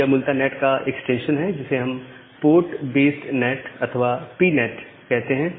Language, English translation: Hindi, So, it is basically an extension of NAT which is sometime called as a port based NAT or PNAT